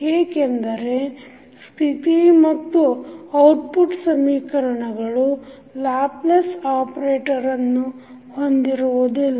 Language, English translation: Kannada, Because the state and output equations do not contain the Laplace operator that is s or the initial states